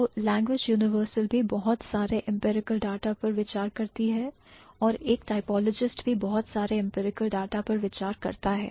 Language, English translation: Hindi, So, a language universal also considers a lot of empirical data and a typologist also considers a lot of empirical data